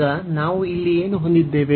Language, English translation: Kannada, So, now what do we have here